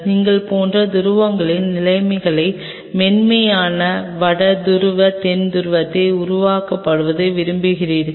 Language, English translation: Tamil, Something like you want to simulate conditions of poles soft North Pole South Pole